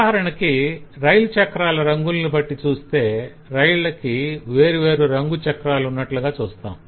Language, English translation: Telugu, for example, we can observe that different trains have different kind of coloured wheels